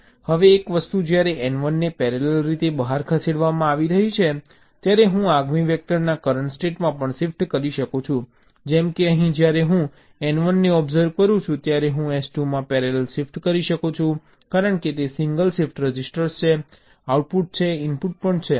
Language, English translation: Gujarati, now one thing: while n one is being shifted out in parallel, i can also shift in the ah present state of the next vector, like here, while i am observing n one, i can parallelly shift in s two, because its a single shift register